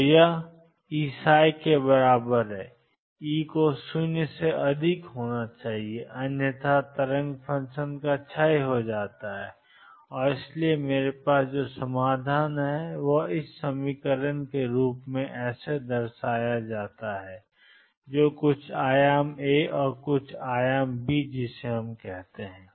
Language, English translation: Hindi, So, this is equal to E psi, E has to be greater than 0, otherwise the wave function decays and therefore, the solutions that I have are psi x equals e raised to i k let me call it k 1 x or e raised to minus i k 1 x some amplitude A, some amplitude B